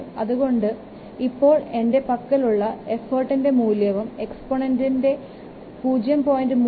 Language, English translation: Malayalam, So now I have to use the value of effort and the value of this exponent is 0